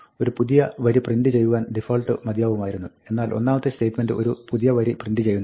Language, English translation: Malayalam, The default would have been to print a new line, but the first statement is not printing a new line